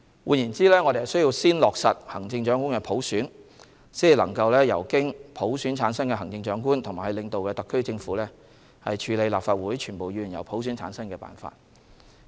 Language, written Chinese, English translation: Cantonese, 換言之，我們需先落實行政長官普選，才能由經普選產生的行政長官及其領導的特區政府處理立法會全部議員由普選產生的辦法。, In other words we shall first implement the selection of the Chief Executive by universal suffrage before the Chief Executive selected by universal suffrage and the Special Administrative Region Government under hisher leadership can take forward the method for electing all the Members of the Legislative Council by universal suffrage